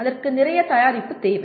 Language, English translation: Tamil, That requires lot of preparation